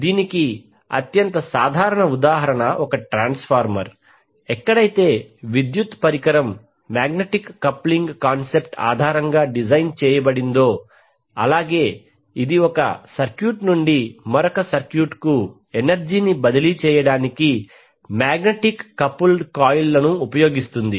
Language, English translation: Telugu, So the most common example for this is the transformer where the electrical device is design on the basis of the concept of magnetic coupling now it uses magnetically coupled coils to transfer the energy from one circuit to the other